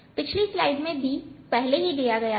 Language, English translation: Hindi, b is already given in the previous slide